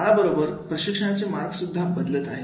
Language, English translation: Marathi, With the period of time the mode of training is also has changed